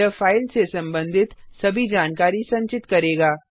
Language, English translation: Hindi, It will store all the information about the file